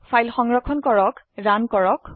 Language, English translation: Assamese, Save and Runthe file